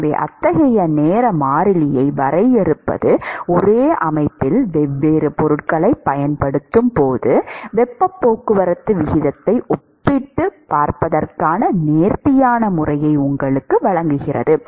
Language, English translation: Tamil, So, defining such kind of a time constant provides you an elegant method to compare the rate of heat transport, when you use different materials in the same system